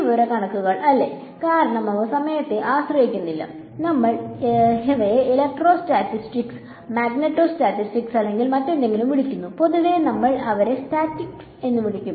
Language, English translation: Malayalam, Statics right, because there is no time dependence, we call them electrostatic magneto statics or whatever; in general we will just call them statics